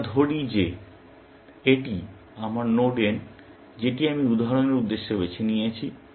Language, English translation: Bengali, Let us say this is my node n that I have picked for illustration purposes